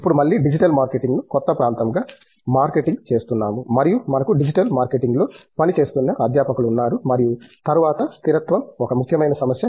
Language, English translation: Telugu, Now, again marketing digital marketing as the new area and we have faculty who have been working in digital marketing as well, sorry and then after sustainability being an important issue